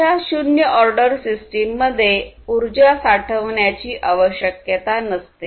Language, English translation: Marathi, And these zero order systems do not include energy storing requirements